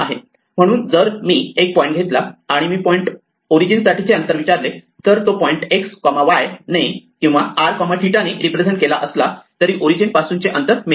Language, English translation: Marathi, So, if I take a point and I ask for o distance I get the distance from the origin whether or not the point is represented using x y or r theta